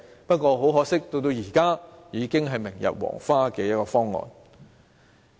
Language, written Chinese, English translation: Cantonese, 不過，很可惜，現時已是明日黃花的方案。, But most regrettably this proposal has become obsolete now